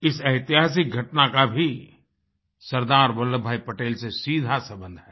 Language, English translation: Hindi, This incident too is directly related to SardarVallabhbhai Patel